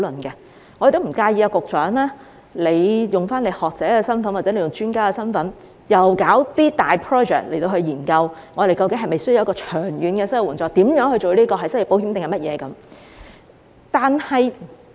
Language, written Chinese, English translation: Cantonese, 我們亦不介意局長以學者或專家的身份展開大型項目，研究我們是否需要長遠的失業援助，這應名為失業保險或其他。, We do not mind if the Secretary in his capacity as an academic or expert commences a big project exploring whether we need a long - term unemployment assistance and whether it should be called unemployment insurance or something else